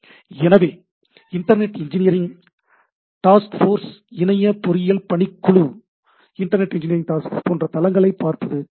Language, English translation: Tamil, So, it will be nice to look at those sites like Internet Engineering Task Force